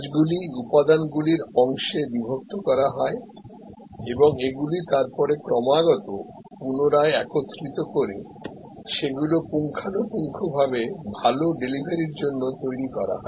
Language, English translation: Bengali, The work is broken up into constituent’s parts and they are continually then reassembled and fine tuned for good delivery